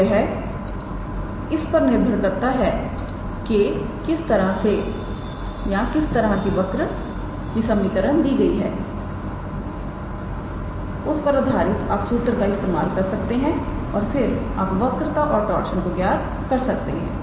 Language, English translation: Hindi, So, it depends what kind of curve equation is given to you based on that you use that if you use the respective formula and then you can calculate the curvature and torsion